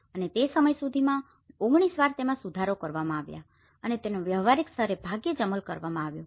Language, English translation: Gujarati, And it has been revised 19 times till then and it was hardly implemented in a practical level